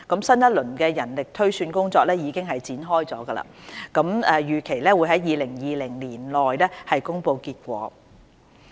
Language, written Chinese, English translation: Cantonese, 新一輪人力推算工作已經展開，預期於2020年內公布結果。, The new round of manpower projection exercise has already commenced and the results are expected to be published in 2020